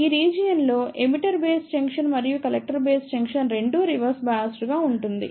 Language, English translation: Telugu, In this region, emitter base junction and collector base junction both are reverse bias